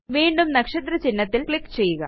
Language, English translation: Malayalam, Click on the star again